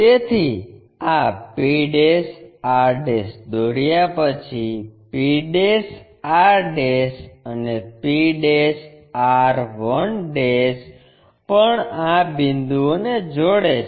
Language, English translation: Gujarati, So, after drawing this p' r', p' r' and also p' r 1' connecting these points